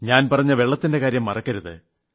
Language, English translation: Malayalam, Please don't forget what I had said about water